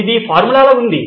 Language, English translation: Telugu, This sounds like a formula